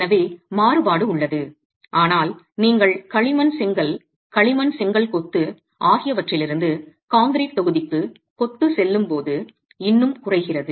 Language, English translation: Tamil, So, the variability exists but still reduces when you go from clay brick masonry to concrete block masonry